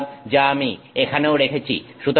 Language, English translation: Bengali, So, which is what I have put here also